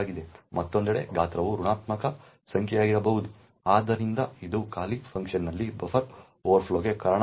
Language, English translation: Kannada, On the other hand size could be a negative number as well, so this could result in a buffer overflow in the callee function